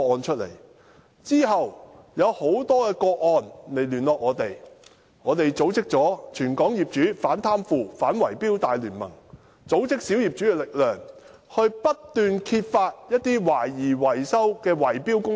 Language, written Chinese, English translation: Cantonese, 其後，有很多個案的苦主與我們聯絡，我們組織了"全港業主反貪腐反圍標大聯盟"，組織小業主的力量，不斷揭發懷疑圍標的維修工程。, Later many victims in such cases contacted us . We set up the Property Owners Anti - Bid Rigging Alliance consolidated the efforts of minority owners and kept exposing maintenance projects suspected of involving bid - rigging